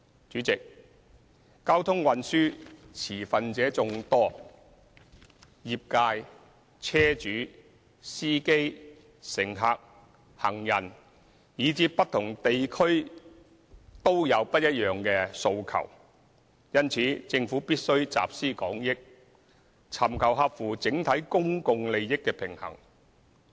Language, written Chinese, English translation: Cantonese, 主席，交通運輸持份者眾多，業界，車主、司機、乘客、行人，以至不同地區都有不一樣的訴求，因此政府必須集思廣益，在合乎整體公共利益的前提下尋求平衡。, President there are many different stakeholders as far as transport policies are concerned and the sector car owners drivers passengers pedestrians and people in different districts will have different aspirations . Therefore the Government must tap on collective wisdom and strike a balance under the premise of acting in the overall public interest of Hong Kong